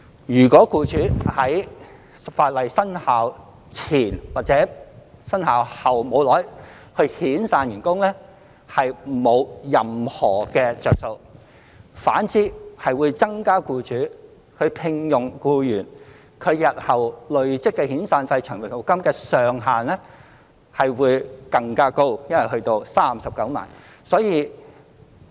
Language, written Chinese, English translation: Cantonese, 如果僱主在法例生效前或生效後不多久遣散員工，是沒有任何好處的，反而新聘用僱員日後累積的遣散費和長服金會更高，因為上限會增加到39萬元。, If an employer lays off an employee shortly before or after commencement of the amended legislation there is no benefit in doing so and on the contrary the future accrued SP and LSP for the new employee will be higher because of the cap being increased to 390,000